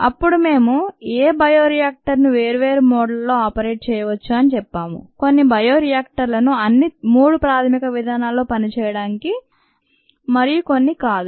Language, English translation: Telugu, then we said that any bioreactor, or many bioreactors, where each bioreactor can be operated in three basic modes ah